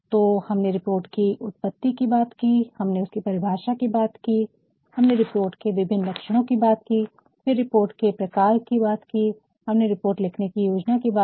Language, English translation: Hindi, So, we have talked aboutthe origin of the report, we have talked about the definition of the report, we have also talked about the various characteristics of the report, and then types of the report, we have also talked about how to plan writing a report